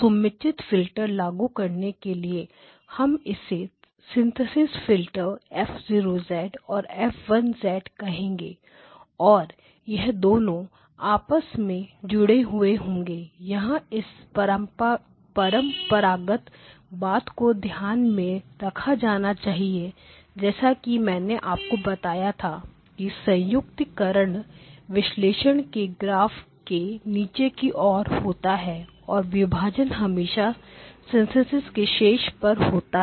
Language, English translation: Hindi, Applying suitable filters, we will call this synthesis filters as F0 of Z and F1 of Z and these 2 will get added together notice the convention that I told you that the addition happens towards the bottom of the graph of the analysis always split occurs at the top the synthesis again this is just a convention that this followed nothing special or unique about it and let us call this as x hat of n